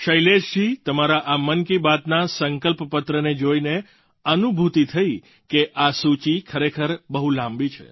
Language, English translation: Gujarati, Shailesh ji, you must have realized after going through this Mann Ki Baat Charter that the list is indeed long